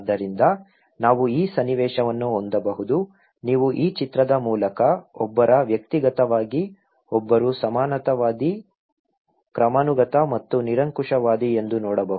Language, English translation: Kannada, So, we can have this scenario, you can see through this picture that one in individualistic, one is egalitarian, hierarchical and authoritarian